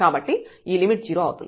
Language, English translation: Telugu, So, here this limit will go to 0